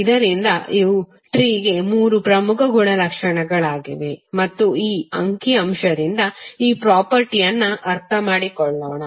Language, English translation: Kannada, So these are the three major properties of tree and let us understand this property from this figure